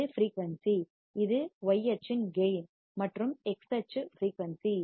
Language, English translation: Tamil, And this is the frequency, this is the gain in y axis is gain and x axis is frequency